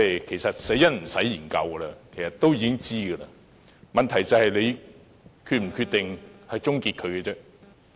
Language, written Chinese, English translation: Cantonese, 其實，死因已無需研究，因為大家都知道，問題是政府是否決定終結數碼廣播而已。, In fact there is no need to inquire into the cause of death because people already have the answer . The remaining issue is whether the Government will decide to switch DAB off